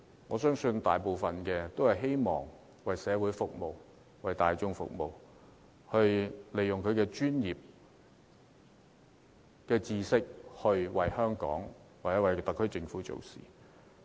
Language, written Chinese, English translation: Cantonese, 我相信她主要是希望為社會服務，為大眾服務，利用她的專業知識為香港或特區政府做事。, I think she primarily hopes to serve the community serve members of the public and make use of her expertise to work for Hong Kong or the SAR Government